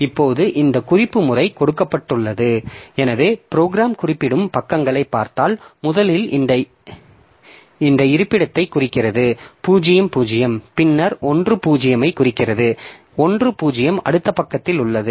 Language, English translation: Tamil, Now, given this referencing pattern, so if you look into the pages that the program is referring to, so first it is referring to this location, 0, then it is referring to the location 1